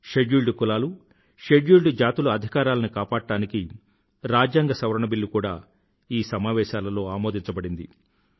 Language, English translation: Telugu, An amendment bill to secure the rights of scheduled castes and scheduled tribes also were passed in this session